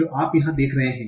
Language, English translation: Hindi, So, what are you seeing here